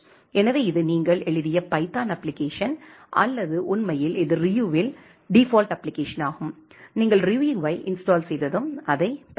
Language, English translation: Tamil, So, that is the python application which you have written or indeed it was a default application in Ryu; once you install Ryu you can get that as well